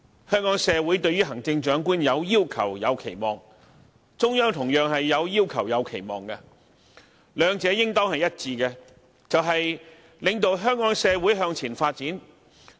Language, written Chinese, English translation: Cantonese, 香港社會對於行政長官有要求、有期望，中央同樣有要求、有期望，兩者應當一致，便是領導香港社會向前發展。, The Hong Kong community has its requirements and expectations for the Chief Executive and so do the Central Authorities . But both actually share one common expectation that is an ability to lead Hong Kong in the pursuit of future development